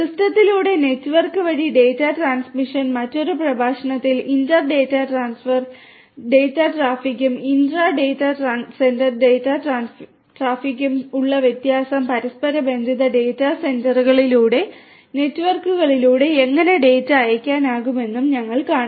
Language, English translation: Malayalam, Data transmission through the network through the system and we will see in another lecture, how the data can be sent through the network through different interconnected data centres which will have inter data centre traffic data centre traffic data traffic and also intra data centre data centre data traffic